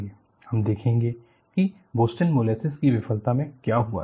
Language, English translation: Hindi, We will look at what happened in the Boston molasses failure